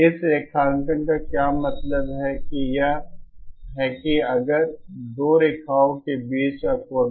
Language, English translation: Hindi, What it means graphically is that if the angle between the two lines